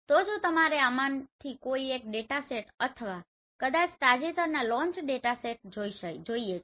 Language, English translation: Gujarati, So in case if you want any of these datasets or maybe the recent launch datasets